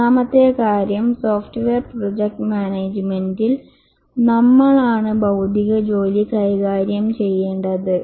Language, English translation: Malayalam, The third thing is that we have to, in software project management, we have to manage intellectual work